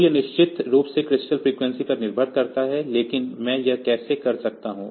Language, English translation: Hindi, So, it depends on the crystal frequency of course, but how can I do this